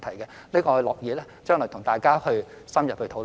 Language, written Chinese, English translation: Cantonese, 我們樂意將來與大家作深入討論。, We are happy to have an in - depth discussion with Members in the future